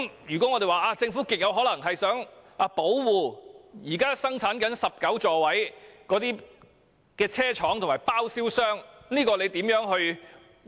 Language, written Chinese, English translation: Cantonese, 如果我們說政府極有可能是想保護現時生產19座位的車廠及包銷商，那麼當局將如何回應？, If we say that the Government is probably trying to protect the manufacturer and the sole agent of the 19 - seat light buses what will be its response?